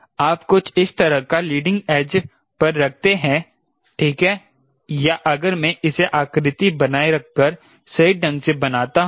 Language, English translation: Hindi, you put something like this in the leading edge, right, or, if i draw it correctly, ah, maintaining in the contour